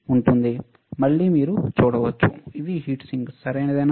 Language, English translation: Telugu, You can see again it is a heat sink, right